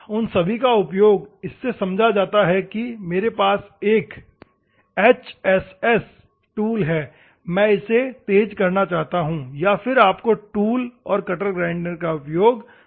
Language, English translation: Hindi, Those are all also used for making assumptions that I have an HSS tool I want to sharpen it then you have to go for tool and cutter grinders